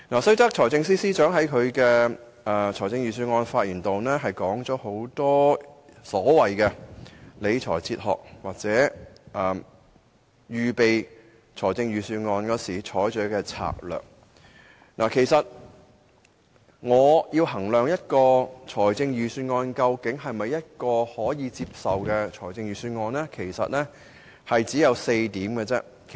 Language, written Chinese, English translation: Cantonese, 雖然財政司司長在預算案演辭中提出眾多理財哲學或在預備預算案時採取的策略，但當我要衡量一份預算案是否可以接受時，我只持4項準則。, The Budget speech of the Financial Secretary puts forth various fiscal management theories and his strategies for preparing the Budget . But I only hold four criteria when assessing the acceptability of a budget